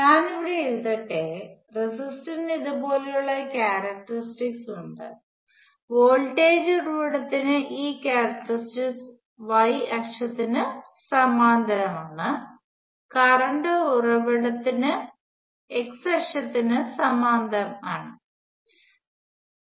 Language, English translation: Malayalam, Let me write here, resistor has a characteristic which is like this; voltage source has this characteristics parallel to the y axis; current source has characteristics parallel to the x axis